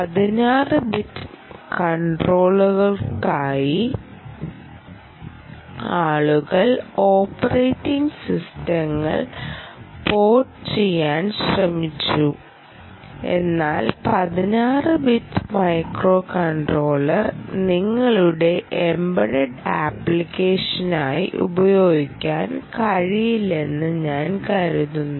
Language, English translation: Malayalam, people have attempted to port operating systems, embedded operating systems, for sixteen bit controllers, but i think this, my own impression, is, sixteen bit microcontroller perhaps is not the way to go, um, for your any embedded application